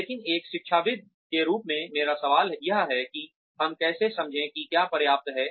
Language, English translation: Hindi, But, my question as an academician is, how do we figure out, what is enough